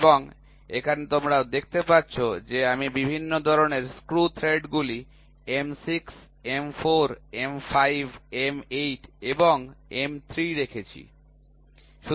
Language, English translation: Bengali, And, here you see that I have put different types of screw threads M 6, M 4, M 5, M 8 and M 3